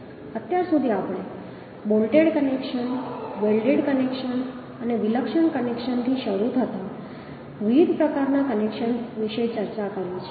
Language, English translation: Gujarati, So far we have discussed about different type of connections, starting from bolted connections, welded connections and also eccentric connections